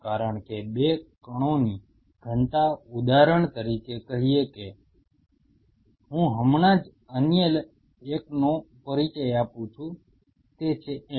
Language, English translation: Gujarati, Because the density of the 2 particles say for example, I just introduce another one say f